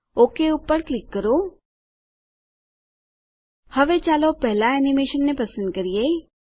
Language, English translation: Gujarati, Click OK Now lets select the first animation